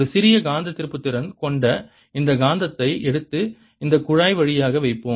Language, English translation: Tamil, let's take this magnet with a small magnetic moment and put it through this tube channel